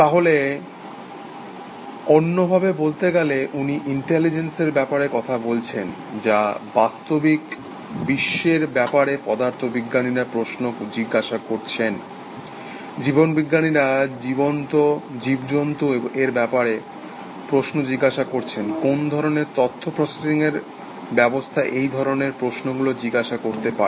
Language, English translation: Bengali, So, in other words, he asking about, talking about intelligence, that physicists are asking questions about the physical world, biologists are asking questions about the living creatures, what kind of information processing system, could ask such questions